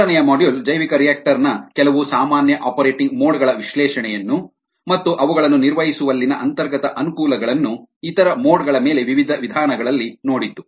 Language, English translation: Kannada, the third module looked at analysis of a few common operating modes of the bioreactor and inherent advantages in operating them in those various modes over the other modes